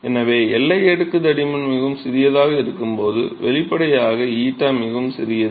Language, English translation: Tamil, So, when boundary layer thickness is very small so; obviously, eta is very small